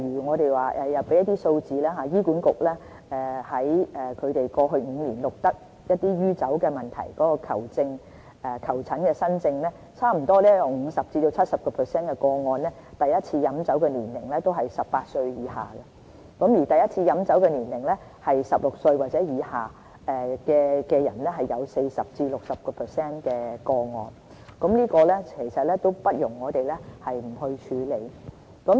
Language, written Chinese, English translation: Cantonese, 我們有一些數字，醫院管理局在過去5年錄得酗酒問題的求診新症中，在差不多 50% 至 70% 個案中第一次飲酒年齡為18歲以下，而第一次飲酒年齡為16歲或以下人士的個案有 40% 至 60%， 這問題不容我們不去處理。, We have some figures for Members reference . Among the new alcohol treatment cases received by the Hospital Authority over the last five years 50 % to 70 % of them involved patients whose age at first alcohol use was below 18 years old and that 40 % to 60 % of the patients consumed alcohol for the first time before they reached 16 years old . This is a pressing problem that we cannot afford to neglect